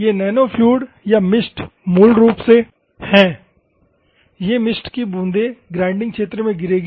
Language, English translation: Hindi, These are the nanofluid or the mist basically, mist droplet us will fall into the grinding region